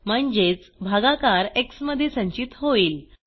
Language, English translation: Marathi, That means the quotient will be stored in x